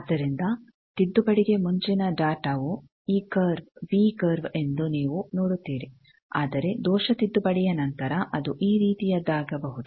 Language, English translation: Kannada, So, you see that data before correction is this curve v curve, but after correction error correction it may become something like these